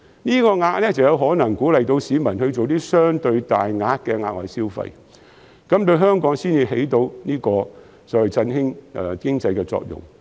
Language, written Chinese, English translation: Cantonese, 這數額才有可能鼓勵市民作出相對大額的額外消費，從而產生振興香港經濟的作用。, Only with this amount can we lure people to spend heavier thereby producing the effect of revitalizing the Hong Kong economy